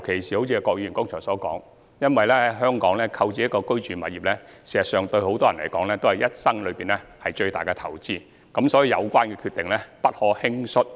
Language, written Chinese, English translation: Cantonese, 正如郭議員剛才所說，在香港購置一個住宅物業，事實上對很多人來說都是畢生最大的投資，所以有關決定不可輕率。, As Mr KWOK put it just now to many people purchasing a residential property in Hong Kong is in fact the biggest investment ever in a lifetime . Therefore it should never be a hasty decision